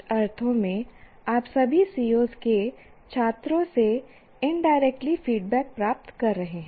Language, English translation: Hindi, So, what happens in some sense you are getting the feedback indirectly from the students and all the COs